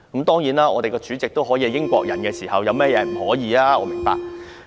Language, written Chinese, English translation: Cantonese, 當立法會主席也可以是英國人，有甚麼不可以？, While the President of the Legislative Council can be a British subject what else is impossible?